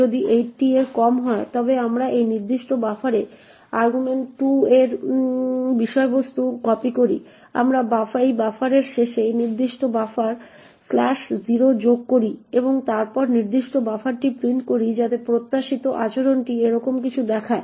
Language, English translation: Bengali, If s less than 80 then we copy the contents of argv2 into this particular buffer we add slash 0 to that particular buffer at the end of this buffer and then print the particular buffer okay so the expected behaviour would look something like this